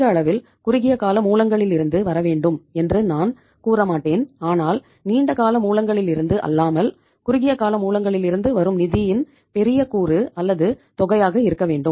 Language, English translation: Tamil, I would not say the maximum funds from the short term sources but the larger component or amount of the funds coming from the short term sources rather than from the long term sources